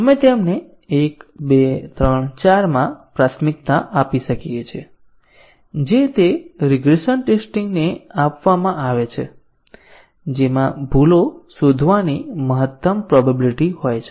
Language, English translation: Gujarati, We might prioritize them into 1, 2, 3, 4 with the highest priority given to those regression tests which have the maximum probability of detecting errors